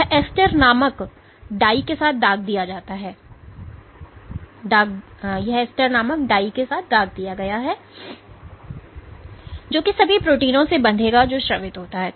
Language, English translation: Hindi, So, this has been stained with a dye called ester which will bind to all proteins which are secreted